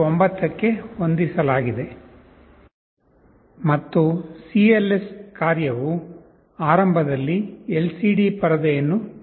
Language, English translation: Kannada, 9 and cls function initially clears the LCD screen